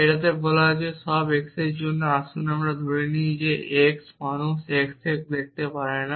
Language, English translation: Bengali, It is saying there for all x let us assume that x is people x cannot see x which means one cannot see oneself essentially